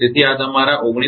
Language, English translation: Gujarati, So, this is your 19